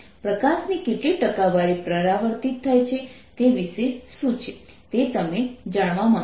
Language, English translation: Gujarati, what about the how, what percentage of light is reflected